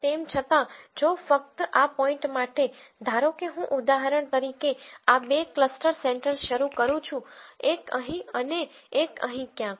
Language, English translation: Gujarati, However, if just to make this point, supposing I start these two cluster centres for example, one here and one somewhere here